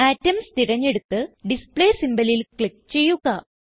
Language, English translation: Malayalam, Select Atom and then click on Display symbol, to display atoms at that position